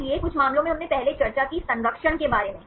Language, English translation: Hindi, So, in some cases we discussed earlier about conservation